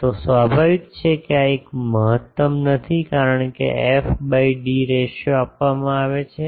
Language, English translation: Gujarati, So obviously, this is not an optimum because f by d ratio is given